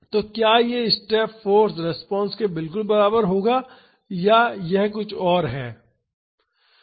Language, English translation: Hindi, So, will it be exactly equal to the step force response or it is something else